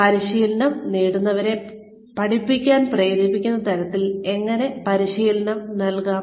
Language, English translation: Malayalam, How can training be delivered so, that trainees are motivated to learn